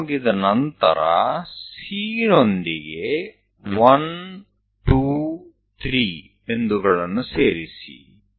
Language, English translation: Kannada, Once it is done, join C with 1, 2, 3 points